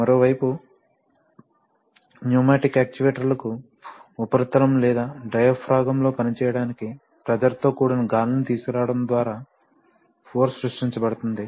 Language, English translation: Telugu, On the other hand, for pneumatic actuators the force is created by, you know by bringing pressurized air on to work on a surface or a diaphragm